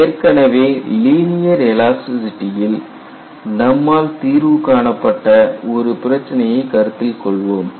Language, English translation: Tamil, So, we will take up a problem, which you have already solved as part of the linear elasticity